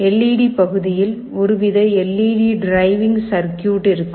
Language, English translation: Tamil, In the LED part there will be some kind of a LED driving circuit